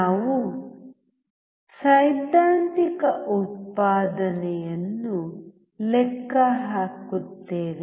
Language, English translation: Kannada, We calculate theoretical output